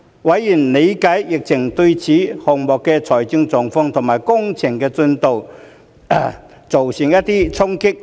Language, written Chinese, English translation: Cantonese, 委員理解疫情對此項目的財務狀況和工程進度造成衝擊。, Members understood the impact of the pandemic on the financial position and construction progress of the project